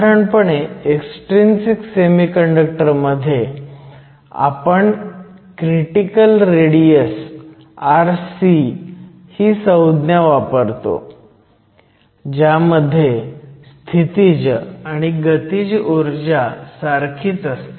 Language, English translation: Marathi, Usually in the case of extrinsic semiconductors, we define a critical radius r c, where the kinetic energy and potential energy are equal